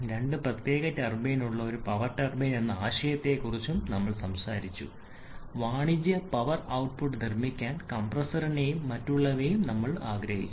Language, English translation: Malayalam, Then we talked about the concept of a power turbine that is having 2 separate turbine want to drive the compressor and other to produce the commercial output power output